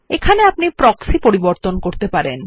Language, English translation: Bengali, Here you can configure the Proxies